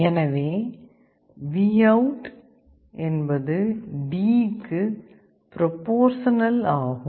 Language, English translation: Tamil, So, VOUT is proportional to D